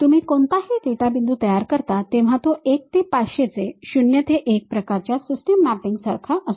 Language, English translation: Marathi, You construct any data point it is more like a mapping from 1 to 500 to 0 to 1 kind of system